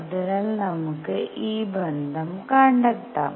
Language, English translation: Malayalam, So, let us find this relationship